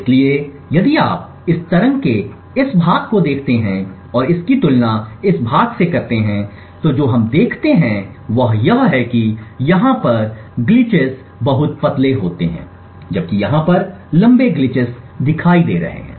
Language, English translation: Hindi, So if you see look at this part of this waveform and compare it with this part what we see is that the glitches are very thin over here while over here we have longer glitches